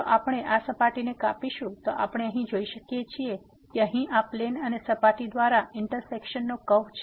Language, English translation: Gujarati, If we cut this surface, then we as we can see here there is a curve of intersection here by this plane and the surface